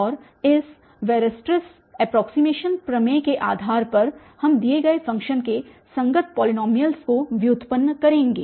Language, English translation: Hindi, And based on this Weirstrass approximation theorem then we will derive the polynomials corresponding to a given function